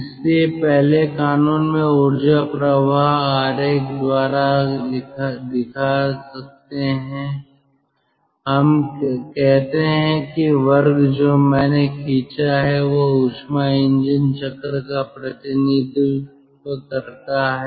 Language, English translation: Hindi, we can represent the energy flow by this diagram, lets say the square which i have drawn, that represents the